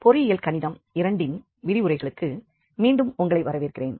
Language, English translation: Tamil, Welcome back to lectures on engineering mathematics 2